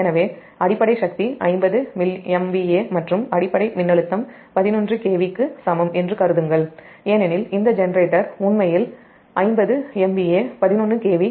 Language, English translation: Tamil, so assume base power is equal to fifty m v a and base voltage eleven k v, because this generator actually given fifty m v a, eleven k v